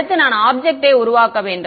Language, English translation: Tamil, Next I have to make the object